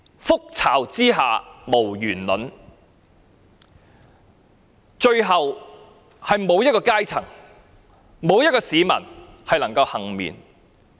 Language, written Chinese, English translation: Cantonese, 覆巢之下無完卵，最後，沒有一個階層和市民可以倖免。, No eggs stay intact under an overturned nest . Finally not a single social stratum or citizen can be spared